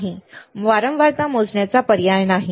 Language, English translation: Marathi, No, there is no option of measuring the frequency